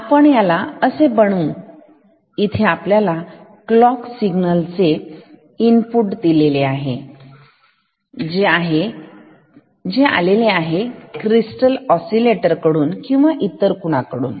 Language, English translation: Marathi, We made it is like this here we have given a clock signal input, which can come from a crystal oscillator or something